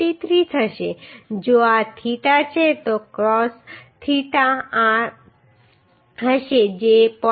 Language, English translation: Gujarati, 43 if this is theta then cos theta will be this that is becoming 0